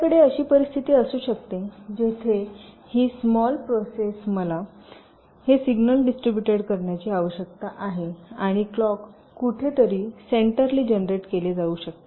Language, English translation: Marathi, so we can have a scenario like where this small process are the points where i need to distribute this signal and may be the clock is generated somewhere centrally